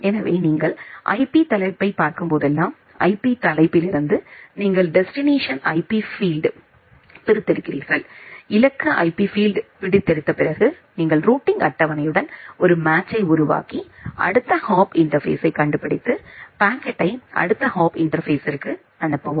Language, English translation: Tamil, So, the idea is something like this whenever you are receiving a packet you look into the IP header, from the IP header you extract the destination IP field, after extracting the destination IP field, then you make a match with the routing table, find out the next hop interface and forward the packet to that next hop interface